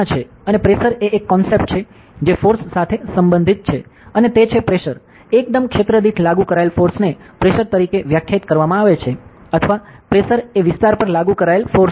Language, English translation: Gujarati, And pressure is a concept that is related with force and it is the pressure is defined as the force applied per unit area or the pressure is the force applied over an area